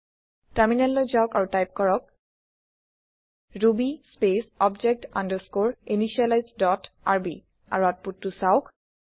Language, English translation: Assamese, Switch to the terminal and type ruby space object underscore initialize dot rb and see the output